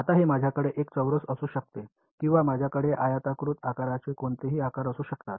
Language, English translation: Marathi, Now, it I can have a square or I can have a rectangular any number of shapes I can have right